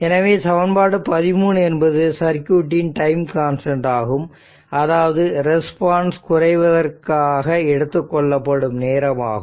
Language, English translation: Tamil, So, ; that means equation 13 we can state that the time constant of a circuit is the time required for the response to decay, 36